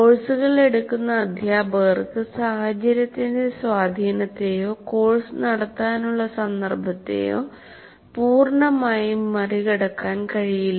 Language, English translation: Malayalam, So the teachers who offer courses cannot completely overcome the influence of the situation or the context to conduct the course